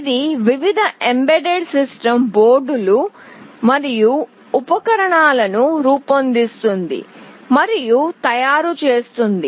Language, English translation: Telugu, It designs and manufactures various embedded system boards and accessories